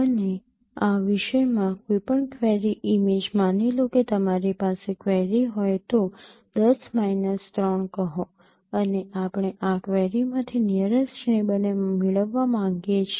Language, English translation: Gujarati, And in this particular so any query image suppose you have a you have a query say 10 minus 3 and we would like to get the nearest neighbor from this query